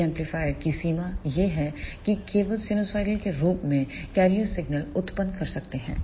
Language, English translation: Hindi, The limitation of these amplifier is that they can only generate the carrier signal of sinusoidal in nature